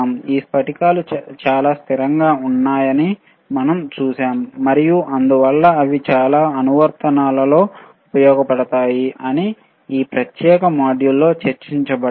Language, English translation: Telugu, We also saw that these crystals wereare extremely stable and hence they are used in many applications, which were discussed in this particular module